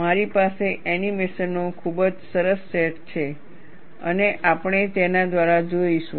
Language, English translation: Gujarati, I have very nice set of animations and we will see through that